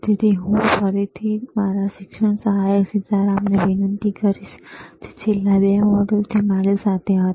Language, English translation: Gujarati, So, I will again request my teaching assistant sSitaram, who iswas with me for since last 2 modules also